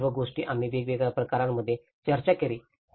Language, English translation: Marathi, So all these things, we did discussed in different cases